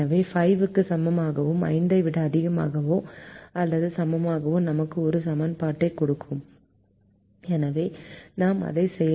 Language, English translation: Tamil, so this less than equal to five and greater than or equal to five will give us an equation